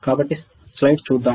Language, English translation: Telugu, So, let us see the slide